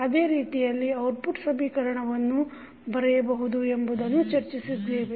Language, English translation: Kannada, We also discussed that the output equation we can write in the similar fashion